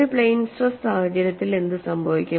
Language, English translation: Malayalam, In a plane stress situation what happens